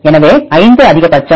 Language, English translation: Tamil, So, 5 is the maximum